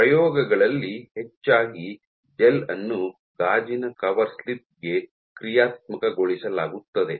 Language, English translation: Kannada, In experiments more often than not your gel is functionalized to a glass coverslip